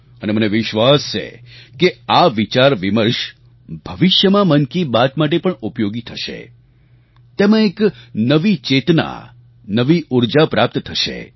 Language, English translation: Gujarati, And I am sure that this brainstorming could be useful for Mann Ki Baat in future and will infuse a new energy into it